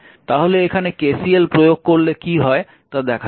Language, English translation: Bengali, So, if you apply KCL look how how you will do it